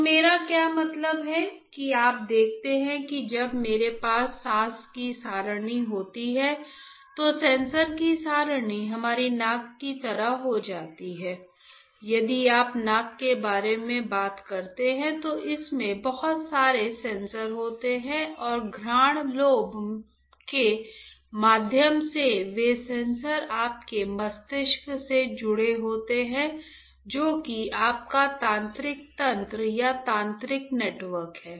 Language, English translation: Hindi, So, what do I mean by that you see when I have array of sensors right, then the array of sensors becomes like our nose; if you talk about nose it has lot of sensors correct and those sensors through the olfactory lobe are connected to your brain that is your neural system right or neural network